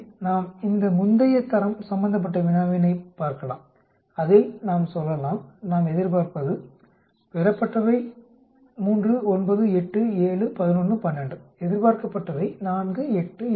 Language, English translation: Tamil, So let us look at these previous problem of grade where we say we expect, observed is 3, 9, 8, 7, 11, 12 whereas expected is 4, 8, 8, 6, 12, 12